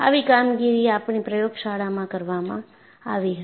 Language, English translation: Gujarati, Such a work was done in our laboratory